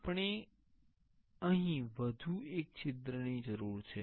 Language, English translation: Gujarati, We need one more hole here also